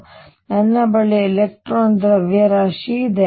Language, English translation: Kannada, So, I have the mass of electron